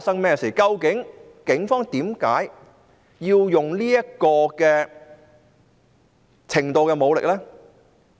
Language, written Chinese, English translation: Cantonese, 究竟警方為何要用這種程度的武力？, Why did the Police deploy such a level of force?